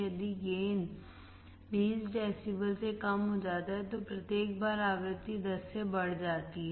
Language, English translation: Hindi, If gain is decreased by 20 decibels, each time the frequency is increased by 10